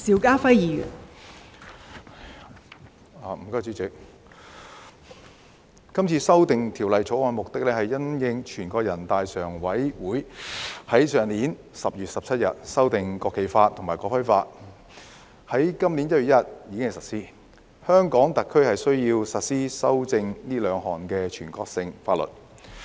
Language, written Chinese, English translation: Cantonese, 代理主席，《2021年國旗及國徽條例草案》旨在因應全國人大常委會於去年10月17日修訂《國旗法》和《國徽法》並於今年1月1日施行，在香港特區實施這兩部經修正的全國性法律。, Deputy President the National Flag and National Emblem Amendment Bill 2021 the Bill seeks to implement the amended National Flag Law and the amended National Emblem Law in the Hong Kong Special Administrative Region SAR in light of the endorsement by the Standing Committee of the National Peoples Congress on 17 October last year and the coming into force since 1 January this year of the amendments to the two national laws